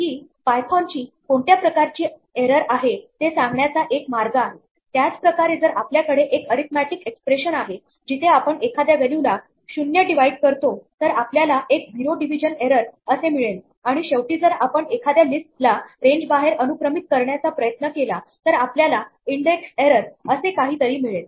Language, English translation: Marathi, This is python's way of telling us what type of error it is similarly, if we have an arithmetic expression where we end up dividing by a value 0 then, we will get something called a zero division error and finally, if you try to index a list outside its range then we get something called an index error